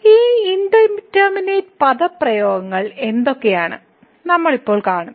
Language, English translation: Malayalam, So, what are these indeterminate expressions; we will see now